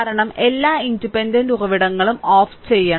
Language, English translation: Malayalam, Because, all independent sources must be turned off